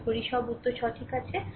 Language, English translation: Bengali, Hope all answers are correct